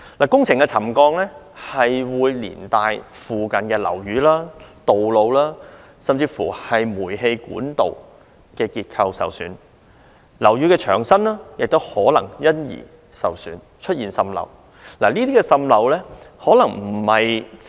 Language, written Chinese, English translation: Cantonese, 工程造成沉降會連帶影響附近樓宇、道路，甚至煤氣管道，令其結構受損；樓宇的牆身也可能因受損而出現滲漏。, Settlement induced by construction works can affect nearby buildings roads and even gas pipes and cause structural damage to them . Water seepage on the walls of buildings may also occur as a result of such damage